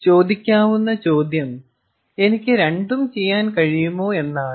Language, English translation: Malayalam, so the question may be asked is: i mean, can i do both